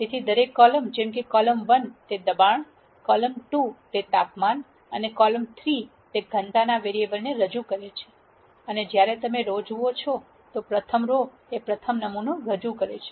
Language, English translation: Gujarati, So, each column represents a variable column 1 pressure, column 2 temperature and column 3 density and when you look at the rows; the first row represents the first sample